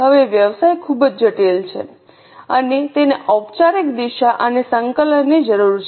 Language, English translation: Gujarati, Now, business is very complex and it requires a formal direction and coordination